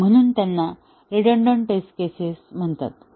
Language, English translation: Marathi, So, those are called as the redundant test cases